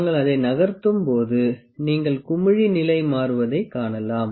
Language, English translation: Tamil, When we move it you can see the bubble is changing it is position